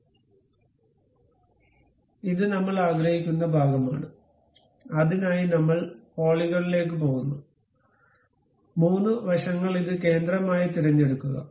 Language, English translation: Malayalam, So, this is the portion where we would like to have, for that purpose we go to polygon 3 sides pick this one as center